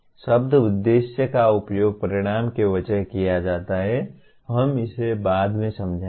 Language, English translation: Hindi, The word objective is used instead of outcome, we will explain it later